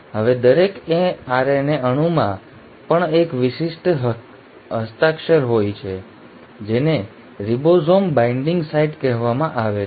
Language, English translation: Gujarati, So now each RNA molecule also has a specific signature which is called as the ribosome binding site